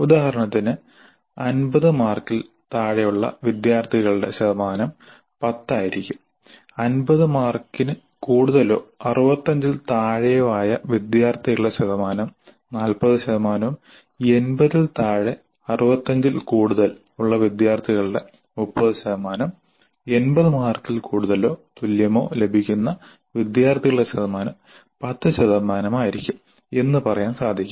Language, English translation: Malayalam, Percentage of students getting greater than 65 and less than 80 marks will be 30 percent and percentage of students getting greater than 80 marks will be 30 percent and percentage of students getting greater than 65 and less than 80 marks will be 30 percent and percentage of students getting more than 80 marks or more than equal to 80 marks will be 10 percent